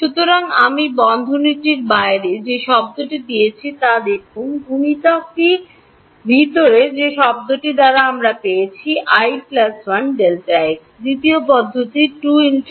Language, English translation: Bengali, So, look at the term I have taken outside the bracket multiplied that by the term inside, I get i plus 1 times delta x, second term is 2 alpha n